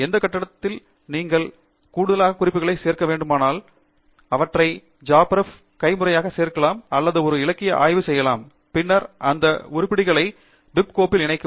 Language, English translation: Tamil, At any point if you want add more references, you could add them a manually here in JabRef or you can do a literature survey, and then, merge those items into the bib file